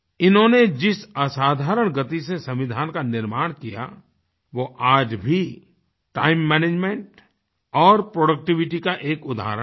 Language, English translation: Hindi, The extraordinary pace at which they drafted the Constitution is an example of Time Management and productivity to emulate even today